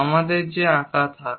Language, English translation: Bengali, Let us draw that